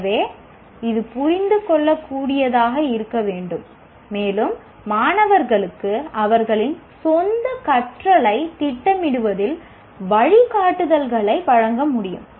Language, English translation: Tamil, So it should be comprehensible and it should be able to provide guidance to students in planning their own learning